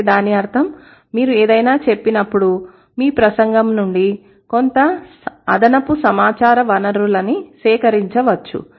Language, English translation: Telugu, That means when you say something, there could be some additional source of information can be gathered from your speech